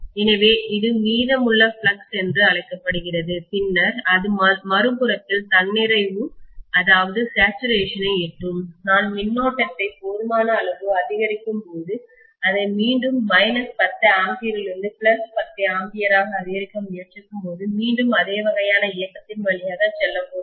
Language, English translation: Tamil, So it is known as remnant flux and then it will reach saturation on the other side, when I sufficiently increase the current then it is again going to go through the same kind of movement when I try to increase it from minus 10 ampere to plus 10 ampere